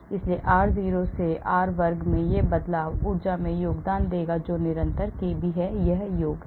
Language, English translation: Hindi, so this shift in r0 to r squared that will contribute to the energy is the constant kb, this is summation